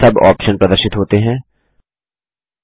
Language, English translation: Hindi, Various sub options are displayed